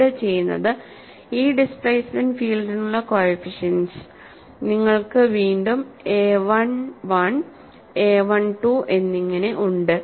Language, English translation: Malayalam, And what is done here is, you have the coefficients for this displacement field again, as a 11, a 12 and so on